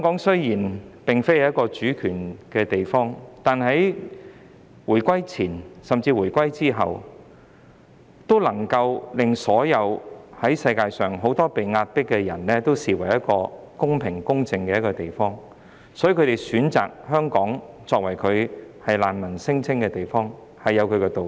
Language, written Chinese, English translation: Cantonese, 雖然香港並非一個主權地方，但在回歸前後，很多在世界各地遭受壓迫的人，都視香港為一個公平、公正的地方，所以他們選擇在香港提出難民聲請，也有箇中道理。, Although Hong Kong is not a sovereign state before and after reunification many of those who were subjected to oppression in other parts of the world regarded Hong Kong as a fair and just place . That was why they chose to make refugee claims in Hong Kong